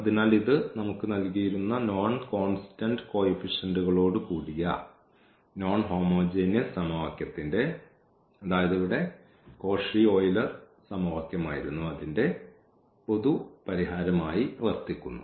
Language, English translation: Malayalam, So, this serves as a general solution of the given non homogeneous equation with non constant coefficients or the Cauchy Euler equation